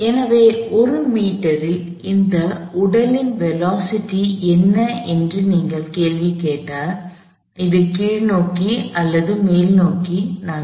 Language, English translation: Tamil, So, if you ask the question, what is the velocity of this body at 1 meter, it could be either in the downward direction or in the upward direction